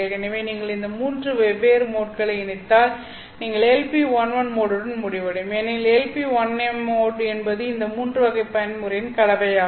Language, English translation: Tamil, So if you combine these three different modes, you will end up with LP11 mode because LP 1M mode is the combination of these three type of modes